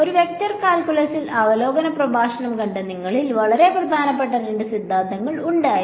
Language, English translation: Malayalam, Now those of you who saw the review lecture on a vector calculus, there were two very important theorems